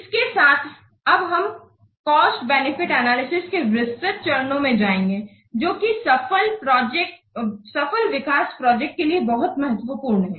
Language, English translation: Hindi, With this now we will go to the detailed steps of this cost benefit analysis which is very very important for successful development of project